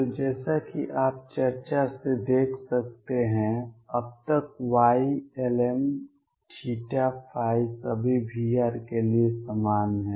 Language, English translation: Hindi, So, as you can see from the discussion So far y lm theta and phi are the same for all v r